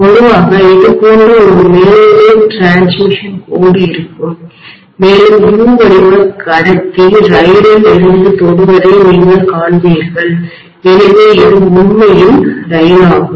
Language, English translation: Tamil, There will be generally a line which is the overhead transmission line somewhat like this and you would see that a U shaped conductor will be touching from the train, so this is actually your train, like I said, okay